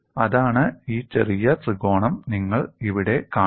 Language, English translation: Malayalam, That is this small triangle, what you see here